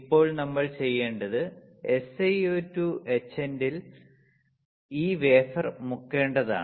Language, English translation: Malayalam, Now what we had to do we had to dip this wafer in SiO2 etchant